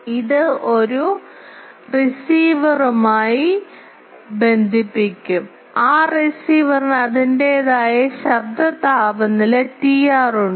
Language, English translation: Malayalam, It will be connected to a receiver, that receiver has its own noise temperature T r